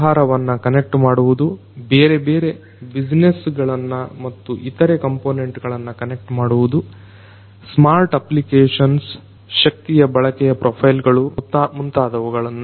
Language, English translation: Kannada, Connecting the business, connecting different businesses and different other components, smart applications energy consumption profiles and so on